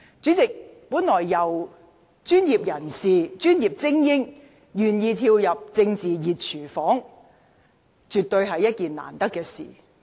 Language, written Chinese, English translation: Cantonese, 主席，專業精英人士願意跳入政治"熱廚房"，絕對是一件難得的事。, President elite professionals who are willing to enter the hot kitchen of politics should absolutely be commended